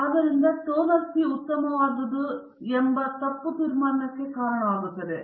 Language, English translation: Kannada, So, this will lead probably to the wrong conclusion that toner C is not good